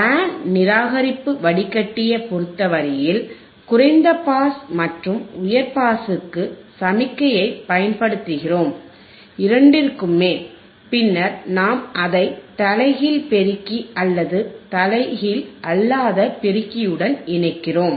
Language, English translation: Tamil, In case of the band reject filter, we are applying signal to low pass and high pass, both, right and then we are connecting it to the inverting amplifier or non inverting amplifier followed by a summer